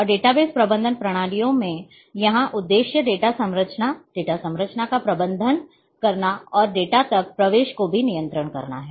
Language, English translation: Hindi, And data base management systems the purpose here to manage the data structure, database structure and also control the access to the data